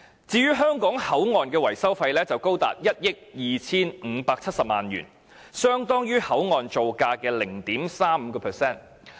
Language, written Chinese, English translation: Cantonese, 至於香港口岸的維修費則高達1億 2,570 萬元，相當於口岸造價的 0.35%。, As far as the maintenance cost of the Hong Kong Boundary Crossing Facilities HKBCF is concerned it is 125.7 million and equivalent to 0.35 % of its construction cost